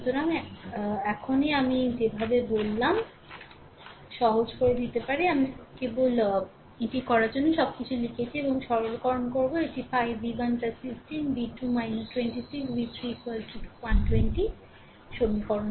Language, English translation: Bengali, So, can simplify the way I told just now I wrote everything for you just you do it and simplify it will be 5 v 1 plus 15, v 2 minus 26, v 3 is equal to 120 this is equation 3